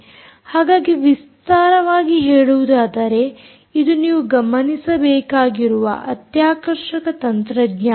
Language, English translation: Kannada, so in broad view ah, its an exciting technology that you should look out for